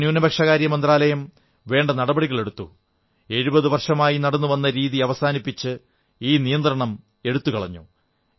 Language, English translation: Malayalam, Our Ministry of Minority Affairs issued corrective measures and we ameliorated this restriction by phasing out a tradition that had been in practice for the past seventy years